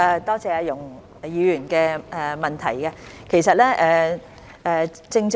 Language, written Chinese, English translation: Cantonese, 多謝容議員的補充質詢。, I thank Ms YUNG for her supplementary question